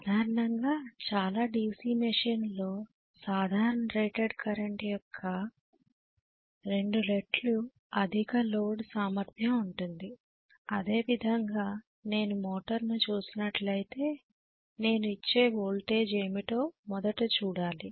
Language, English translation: Telugu, Generally, many of the DC machine have the overload capability of 2 times the normal rated current that is the way it is where as if I am looking at a motor, right I am looking at first of all what is the voltage that I am applying